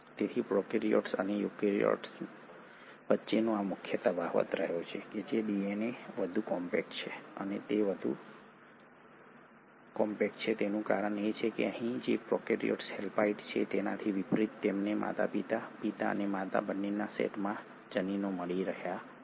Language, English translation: Gujarati, So this has been the major difference between the prokaryote and the eukaryote whether DNA is far more compact and the reason it is far more compact is because unlike the prokaryotes which are haploid here you are getting genes from both set of parents, the father as well as the mother